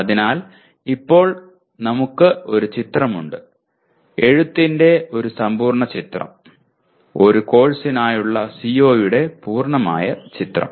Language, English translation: Malayalam, So now we have a picture, a complete picture of writing, a complete picture of COs for a course